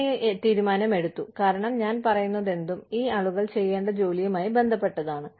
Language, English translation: Malayalam, I took this decision, because, whatever, i was saying, was related to the job, that these people were supposed, to do